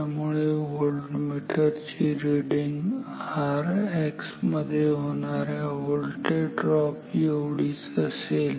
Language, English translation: Marathi, So, voltmeter reading will be almost same as this voltage drop across R X